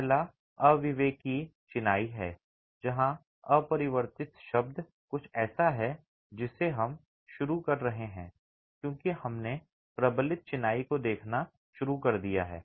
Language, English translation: Hindi, The first one is unreinforced masonry where the word unreinforced is something that we are introducing because we have started looking at reinforced masonry